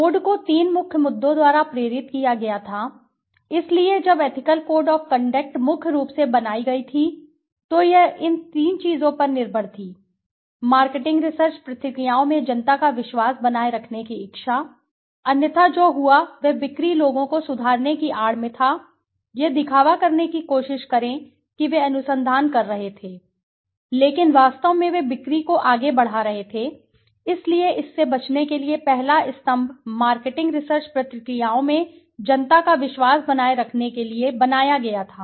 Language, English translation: Hindi, The code was prompted by three main issues, so when the ethical code of conduct was made mainly it depend on three things, the desire to maintain public confidence in marketing research procedures, otherwise what would happened was in the guise of improving sales people just they try to pretend that they were doing research but actually they were pushing the sales, so to avoid this the first pillar was designed to maintain public confidence in marketing research procedures